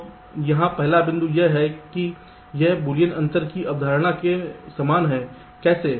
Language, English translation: Hindi, the first point is that it is similar in concept to boolean difference